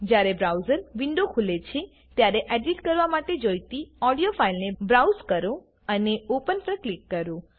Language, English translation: Gujarati, When the browser window opens, browse for the audio file to be edited and click on Open